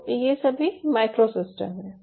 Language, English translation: Hindi, so these are all micro systems